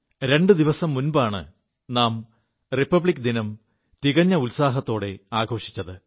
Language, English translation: Malayalam, Just a couple of days ago, we celebrated our Republic Day festival with gaiety fervour